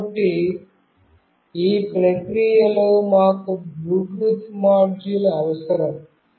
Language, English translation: Telugu, So, in this process we need a Bluetooth module